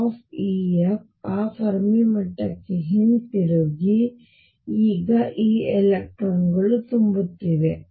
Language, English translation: Kannada, Going back to that Fermi level being filled now these electrons being filled